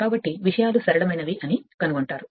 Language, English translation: Telugu, So, you will find things are simple that